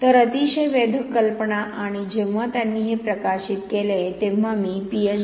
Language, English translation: Marathi, So very intriguing idea and when they published this, their paper I was doing my Ph